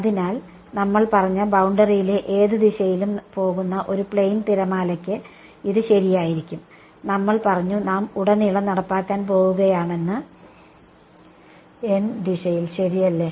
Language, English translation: Malayalam, So, it is true for a plane wave going along any direction on the boundary we said we are going to enforce it along the n hat direction right